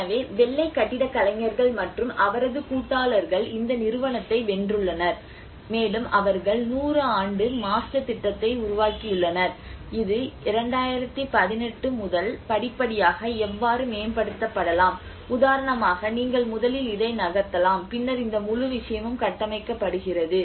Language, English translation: Tamil, So like there is a ‘white architects’ and his partners have won this company they developed about a 100 year master plan how from 2018 how it can be gradually improved like for instance first you move this and then later on this whole thing is built up you know so in that way gradually how this city has to be progressed and about a 100 year transition plan they have developed